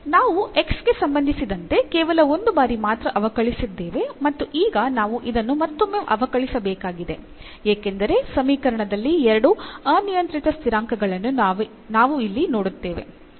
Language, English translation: Kannada, So, we have differentiated with respect to x only once and now we have to differentiate this once again because, we do see here to arbitrary constants in the equation